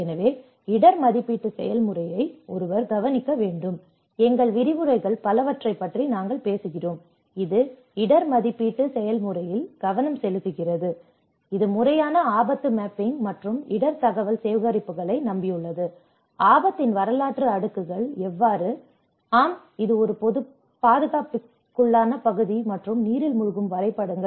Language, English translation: Tamil, So, one has to look at the risk assessment process I think in the whole course we are talking about many of our lectures are focusing on the risk assessment process which rely on systematic hazard mapping and risk information collections, how the historical layers of the risk also talks about yes this is a prone area and inundation maps